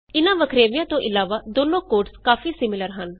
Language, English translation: Punjabi, So, apart from these differences, the two codes are very similar